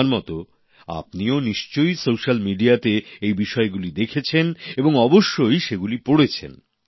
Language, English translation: Bengali, You must have read and seen these clips in social media just like I have